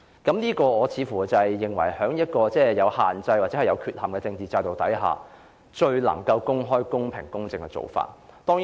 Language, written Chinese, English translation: Cantonese, 我認為這是在政治制度有限制或有缺陷的情況下最為公開、公平和公正的做法。, In my view under the political system that is defective with limitations this approach has the utmost openness fairness and impartiality